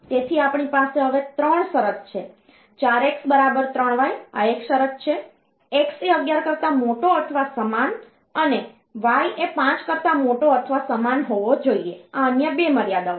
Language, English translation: Gujarati, So, we have got 3 condition now; 4 x equal to 3 y, this is one condition; x greater or equal 11, y greater or equal 5, this is the other 2 constraints